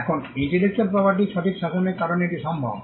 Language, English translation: Bengali, Now, this is possible because of the intellectual property right regime